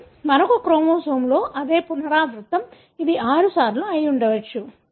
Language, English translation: Telugu, But the same repeat in another chromosome, it could be repeated may be 6 times